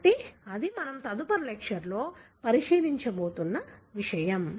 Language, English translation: Telugu, So, that is something that we are going to look into, in the next lecture